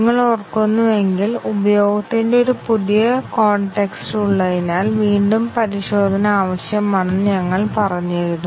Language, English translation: Malayalam, If you remember, we had said that retesting is necessary because there is a new context of usage